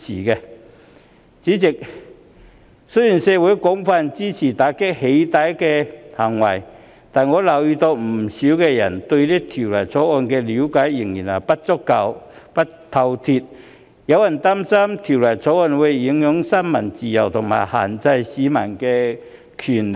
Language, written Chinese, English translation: Cantonese, 代理主席，雖然社會廣泛支持打擊"起底"行為，但我留意到，不少人對《條例草案》的了解仍然不夠透徹，有人擔心《條例草案》會影響新聞自由和限制市民的權利。, Deputy President despite societys extensive support for cracking down on doxxing acts I have noticed that many people still do not have a thorough understanding of the Bill as some people are worried that the Bill will affect press freedom and restrict citizens rights